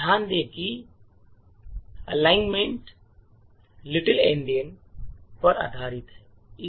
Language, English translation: Hindi, Note that the alignment is based on Little Endian